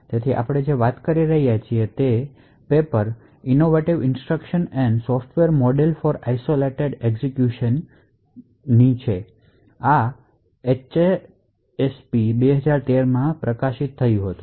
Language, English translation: Gujarati, So, a lot of what we are actually talking is present in this particular paper Innovative Instructions and Software Model for Isolated Execution, this was published in HASP 2013